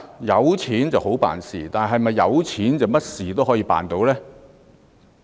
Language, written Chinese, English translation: Cantonese, 有錢好辦事，但是否有錢便甚麼事都可以辦到呢？, Money makes life easier but is it that anything can be done with money?